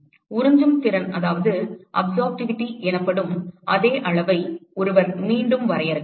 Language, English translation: Tamil, One could again define a similar quantity called absorptivity